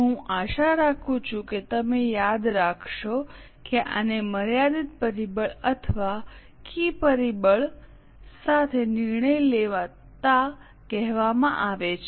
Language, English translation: Gujarati, I hope you remember this is called as a decision making with limiting factor or a key factor